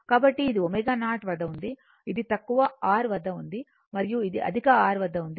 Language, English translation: Telugu, So, this is at omega 0 so, this is at low R and this is at higher R